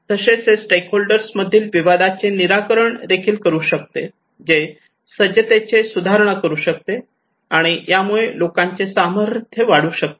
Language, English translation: Marathi, It can also resolve conflict among stakeholders; it can improve preparedness, and it could empower the people